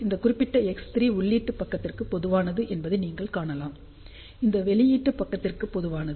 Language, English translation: Tamil, You can see that this particular X 3 is common to the input side, it is also common to the output side